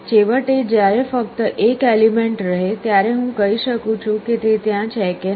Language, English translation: Gujarati, Finally, when there is only 1 element, I can tell that whether it is there or not